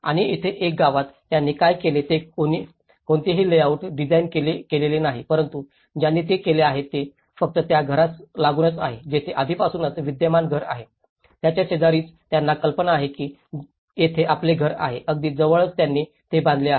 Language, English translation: Marathi, And here, in this village what they did was they have not designed any layout but what they did was just adjacent to the house where they already have an existing house just adjacent to it they have like imagine you have a house here, so adjacent to it they have built it